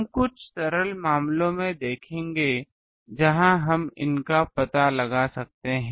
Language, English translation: Hindi, We will see some simple cases where we can have the approximately find these